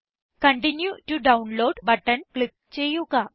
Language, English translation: Malayalam, Click on the Continue to Download button